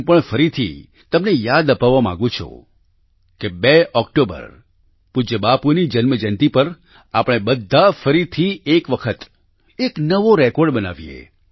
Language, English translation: Gujarati, I too would like to remind you again that on the 2 nd of October, on revered Bapu's birth anniversary, let us together aim for another new record